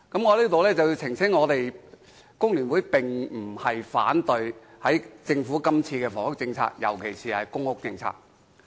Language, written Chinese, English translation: Cantonese, 我在此澄清，工聯會並非反對政府這次提出的房屋政策，尤其是公屋政策。, I hereby clarify that FTU holds no objection to the housing policy and particularly the policy on public rental housing PRH put forward by the Government this time